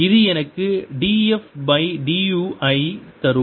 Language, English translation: Tamil, this gives me d f by du itself